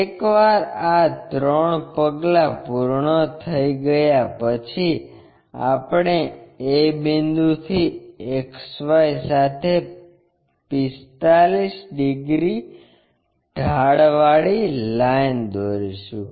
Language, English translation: Gujarati, Once these three steps are done we will draw a line 45 degrees incline to XY from a point a